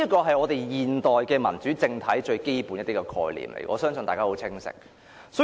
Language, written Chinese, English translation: Cantonese, 這是現代民主政體最基本的概念，我相信大家對此亦十分清楚。, This is the most basic concept of modern democratic system of government . I believe everyone is also very clear about this